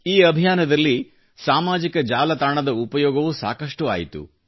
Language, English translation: Kannada, In this mission, ample use was also made of the social media